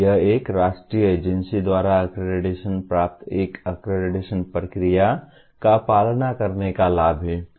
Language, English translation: Hindi, That is the advantage of following an accreditation process identified by a national agency